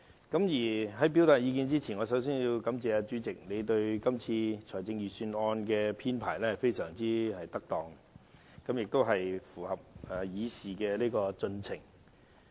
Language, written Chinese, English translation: Cantonese, 但在發言之前，我首先要感謝主席，他就今次財政預算案會議的編排可說非常恰當，亦符合議事規程。, Before I speak I would like to thank the Chairman for the meeting arrangements he has made for this Budget which are very appropriate and perfectly in compliance with the Rules of Procedure